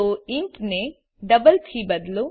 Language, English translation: Gujarati, So replace intby double